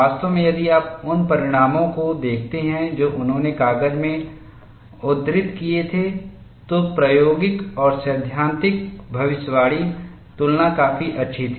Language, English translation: Hindi, Actually, if you look at the result, that he had quoted in the paper, the experimental and theoretical prediction, the comparison was quite good, he had not provided the pictorial representation